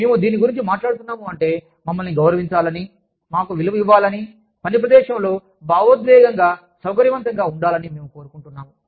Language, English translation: Telugu, We are essentially talking about, feeling respected, feeling valued, feeling emotionally comfortable, in the workplace